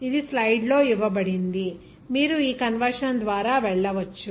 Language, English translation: Telugu, It is given in this stable in the slide, you can go through this conversion